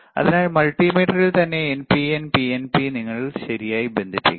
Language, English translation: Malayalam, So, in the in the multimeter itself is NPN, PNP you have to connect it ok